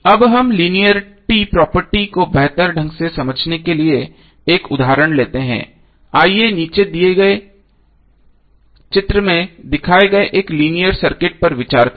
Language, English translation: Hindi, Now let us take one example to better understand the linearity property, let us consider one linear circuit shown in the figure below